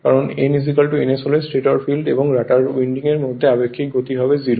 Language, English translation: Bengali, Because if n is equal to ns the relative speed between the stator field and rotor winding will be 0 right